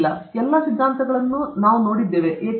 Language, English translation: Kannada, Now, that we have seen all the theories and all that – why